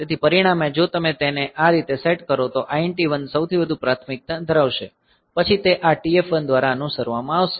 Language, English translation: Gujarati, So, as a result if you set it like this then INT 1 will have the highest priority then it will be followed by this TF1